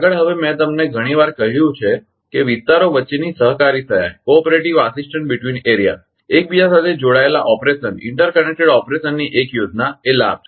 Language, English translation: Gujarati, Next is now I told you many times the cooperative assistance between areas is one of the plan benefits of interconnected operation right